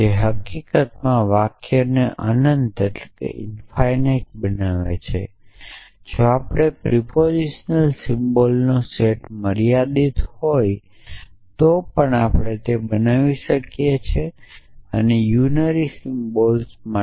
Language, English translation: Gujarati, So, and which infinites so the sentences in fact, we can create even if the set of propositional symbols is finite essentially likewise we have for the unary symbol